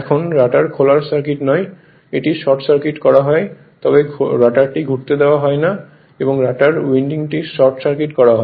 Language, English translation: Bengali, Now rotor is not open circuit its short circuited , but you are not allow the rotor to rotate